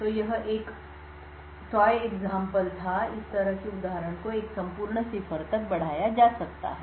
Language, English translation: Hindi, So this was a toy example and such an example could be extended to a complete cipher